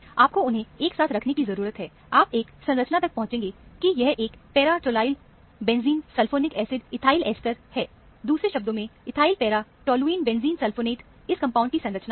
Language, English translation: Hindi, You need to put them together; you arrive at the structure, that it is a para tolyl benzene sulphonic acid ethyl ester; in other words, ethyl para toluene benzene sulfonate is the structure of the compound